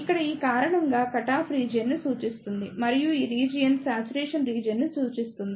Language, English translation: Telugu, Here, this reason represents the cutoff region and this region represents the saturation region